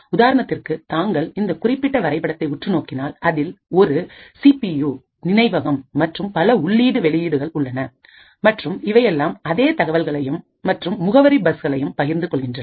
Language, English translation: Tamil, For example, if you look at these particular figures where you have the CPU, memory and the various input output and all of them share the same data and address bus